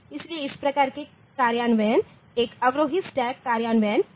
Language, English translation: Hindi, So, this type of implementation is a descending stack implementation